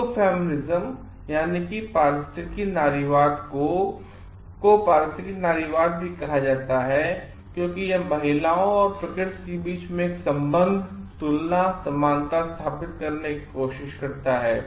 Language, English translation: Hindi, Ecofeminism also called ecological feminism, because it tries to establish a connection a comparison and analogy between women and nature